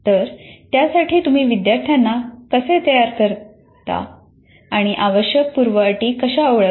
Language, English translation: Marathi, So how do you kind of prepare the student for that, the prerequisites for that